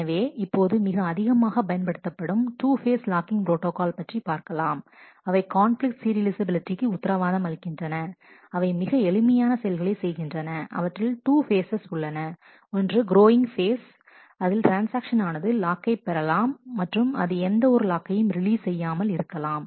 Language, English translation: Tamil, So, let us look at the most widely used protocol this is called the two phase locking protocol which guarantees conflict serializability, it does a simple thing it has two phases a growing phase, where it transaction may obtain locks and may not release any lock